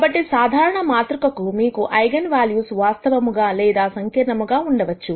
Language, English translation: Telugu, So, for a general matrix, you could have eigenvalues which are either real or complex